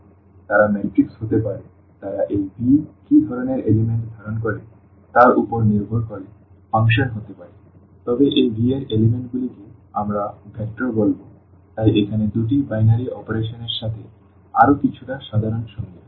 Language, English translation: Bengali, So, they can be matrices they can be functions depending on what type of elements this V contain, but the elements of this V we will call vector, so, a little more general definition here and together with two binary operations